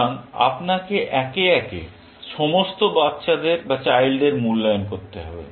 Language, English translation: Bengali, So, you have to evaluate all the children, essentially, one by one